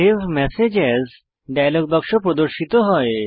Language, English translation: Bengali, The Save Message As dialog box appears